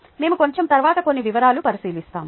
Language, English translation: Telugu, we look at some details a little later